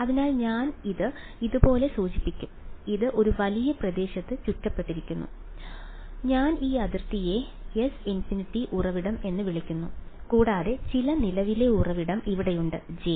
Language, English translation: Malayalam, So, I will indicate it like this and this was surrounded in a bigger region I call this boundary S infinity the source S and there was some current source over here J